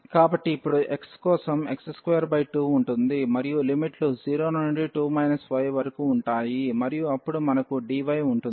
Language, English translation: Telugu, So, we are integrating now for x will be x square by 2 and the limits will be 0 to 2 minus y and then we have dy